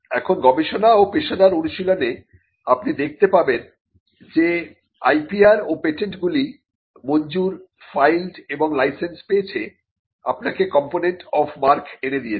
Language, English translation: Bengali, Now, in research and professional practice you will find that IPR and patents: granted, filed and license, fetches you a component of mark